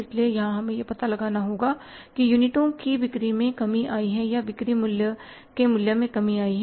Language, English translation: Hindi, So, here we have to find out whether the number of units have sales has come down or the selling price has come down